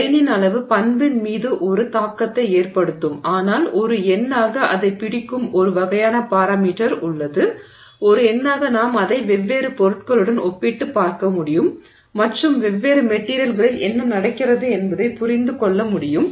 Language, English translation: Tamil, So, the grain size will have an effect on the property but there is a parameter which sort of captures it as a number as a number that we can keep track of where we can compare it against different materials and get a sense of what is happening in different materials